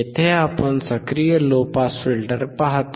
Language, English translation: Marathi, Here we see the active low pass filter